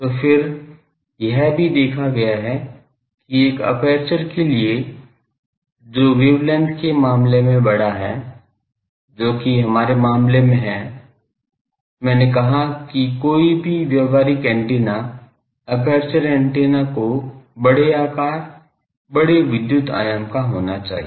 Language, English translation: Hindi, So, then, also it has been seen that for an aperture that is large in terms of wave length, which is our case I said that any practical antenna, aperture antenna should be sizable dimension, electrical dimension